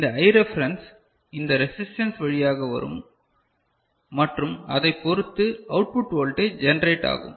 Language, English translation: Tamil, And, this I reference will come through this resistance and accordingly the output voltage will be generated